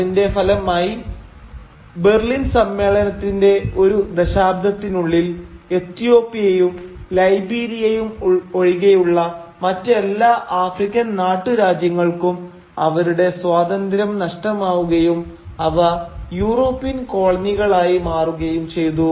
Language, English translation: Malayalam, And as a result, within a decade of the Berlin Conference, all major African kingdoms, except Ethiopia and Liberia, lost their independence and became European colonies